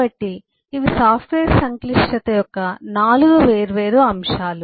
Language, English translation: Telugu, so these are 4 different elements of software complexity